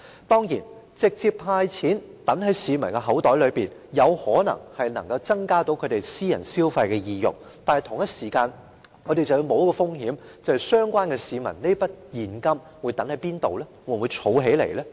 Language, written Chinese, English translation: Cantonese, 當然，直接派錢入市民口袋，有可能增加他們私人消費的意欲，但同一時間，我們要冒一個風險，便是市民會把這筆現金放在哪裏呢？, This is a question worth pondering because handing out cash to the people direct may increase their sentiment of private consumption but at the same time we run a risk and this brings us to these questions where will people put this money?